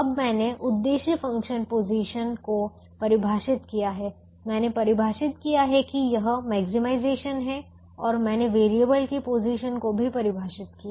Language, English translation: Hindi, now i have defined the objective function position, i have defined that it is maximization and i have also defined the position of the variables